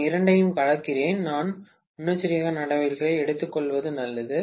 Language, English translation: Tamil, I am mingling the two, I better take precautions